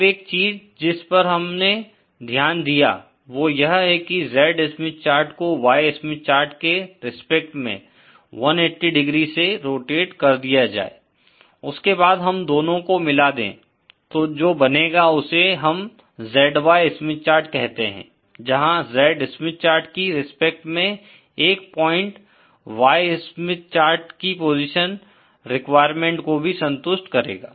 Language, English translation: Hindi, Now, one thing we noticed is that if the Z Smith chart is rotated 180¡ with respect to the Y Smith chart, then we can combine the 2 and form what is called as ZY Smith chart, where a point with respect to the Z Smith chart will also satisfy the position requirement for the Y Smith chart